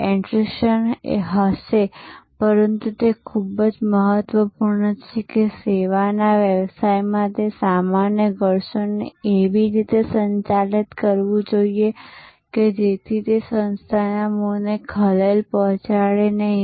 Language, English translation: Gujarati, There will be attrition, but it is very important that in a service business, that usual attrition has to be handled in such a way, that it does not disturb the core of the organization